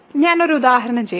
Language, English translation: Malayalam, So, let me just do an example